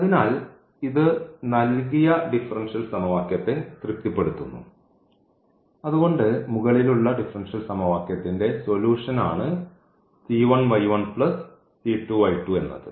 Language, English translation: Malayalam, So, this satisfies the given differential equation hence the c 1 y 1 plus c 2 y 2 is also a solution of the above differential equation